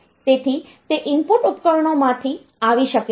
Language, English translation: Gujarati, So, it can come from the input devices